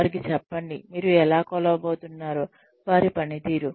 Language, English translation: Telugu, Tell them, how you are going to measure, their performance